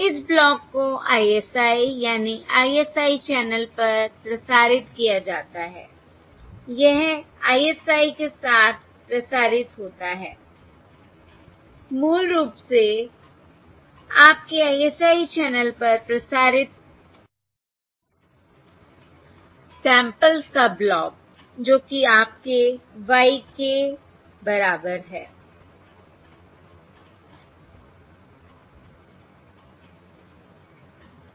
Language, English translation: Hindi, this is the transmitted across the, your ISI, the block of the of samples transmitted across your ISI channel, basically, which is your y k equals, that is equal to well